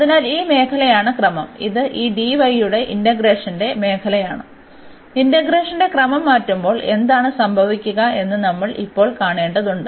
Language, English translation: Malayalam, So, this region is the order is the region of the integration this d, which we have to now see when we change the order of integration what will happen